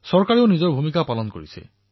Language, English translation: Assamese, The government is also playing its role